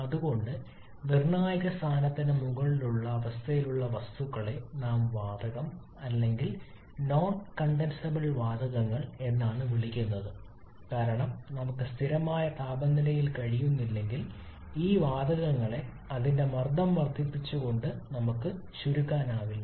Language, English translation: Malayalam, And that is why often the substances which belong at a state above the critical point we call them gas or non condensable gases because if we cannot at a constant temperature we cannot condense these gases simply by reducing or sorry increasing its pressure